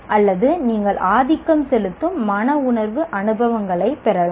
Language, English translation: Tamil, Or you can have dominantly affective experiences